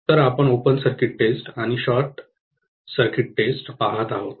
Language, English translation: Marathi, So, we were looking at open circuit test and short circuit test